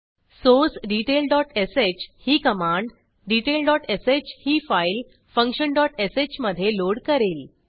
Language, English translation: Marathi, Source detail dot sh will load the file detail dot sh into function dot sh Let me open detail dot sh file